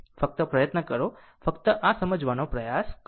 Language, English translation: Gujarati, Just try, just try to understand this